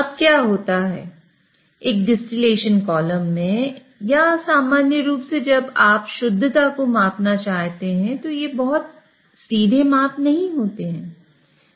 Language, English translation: Hindi, Now what happens is in a distillation column or in general when you want to measure purity, these are not very straightforward measurement